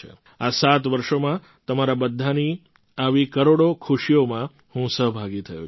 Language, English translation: Gujarati, In these 7 years, I have been associated with a million moments of your happiness